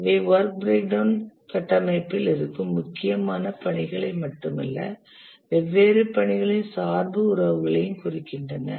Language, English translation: Tamil, These not only represent the important tasks that are present in the work breakdown structure, but also the dependency relations among the different tasks